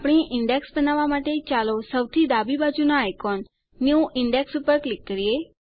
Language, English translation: Gujarati, Let us click on the left most icon, New Index, to create our index